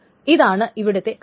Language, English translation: Malayalam, That's the thing